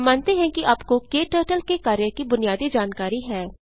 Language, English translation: Hindi, We assume that you have basic working knowledge of KTurtle